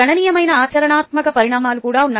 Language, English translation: Telugu, there are significant practical consequences to